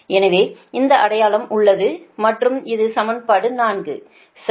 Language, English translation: Tamil, and this is equation four